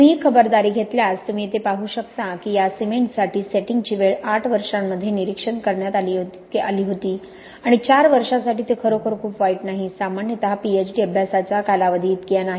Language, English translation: Marathi, If you take those precautions you can see here that the setting time was monitored for this cement during eight years and for four years it is not really too bad, not typically the length of a PhD study